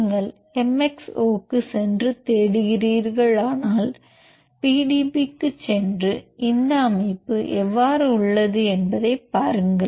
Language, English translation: Tamil, So, if you go to MXO and search go to PDB and see how this structure exists